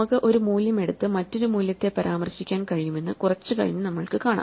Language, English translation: Malayalam, We will see a little later that we can take one value and refer to another value